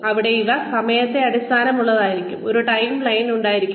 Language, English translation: Malayalam, There, they should be time based, there should be a timeline